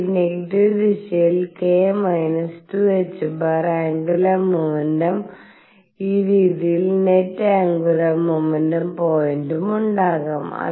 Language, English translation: Malayalam, I could also have the angular momentum k minus 2 h cross in the negative direction and the net angular momentum point in this way